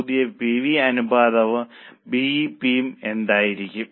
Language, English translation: Malayalam, What will be the new PV ratio and BEP